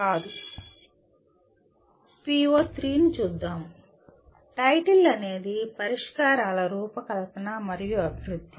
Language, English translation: Telugu, Coming to PO3, the title is design and development of solutions